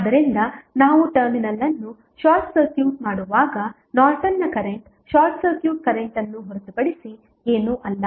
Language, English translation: Kannada, So, that is why when we short circuit the terminal we get the Norton's current is nothing but short circuit current